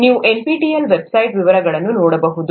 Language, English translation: Kannada, You can look at the details in the NPTEL website